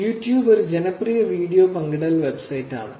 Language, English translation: Malayalam, YouTube is another popular video sharing website